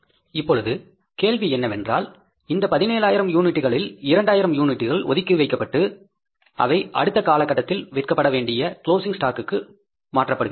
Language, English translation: Tamil, Now further, question says that out of the 17,000 units, 2,000 units are kept aside and they are transferred to the closing stock to be sold in the next period